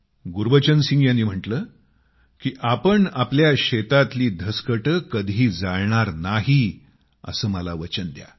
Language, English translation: Marathi, Gurbachan Singh ji asked him to promise that they will not burn parali or stubble in their fields